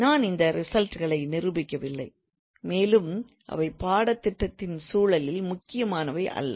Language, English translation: Tamil, So I am not proving these results and also they are not important from the context of the syllabus